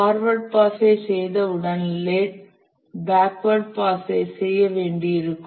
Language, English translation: Tamil, Once we have done the forward pass, we'll have to do the backward pass